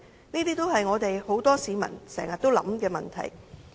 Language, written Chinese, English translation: Cantonese, 這些也是很多市民經常思考的問題。, These are the questions that many members of the public ponder frequently